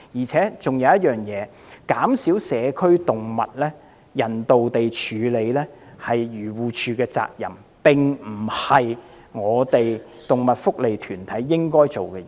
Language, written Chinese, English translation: Cantonese, 此外，人道地減少社區動物是漁護署的責任，並非動物福利團體應做的事情。, Besides reducing the number of community animals in a humane manner is the responsibility of AFCD and not animal welfare organizations